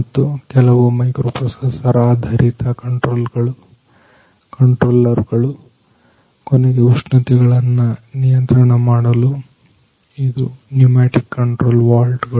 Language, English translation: Kannada, Then some microprocessors based controllers and finally, for controlling the temperatures, it is pneumatic controls valves ah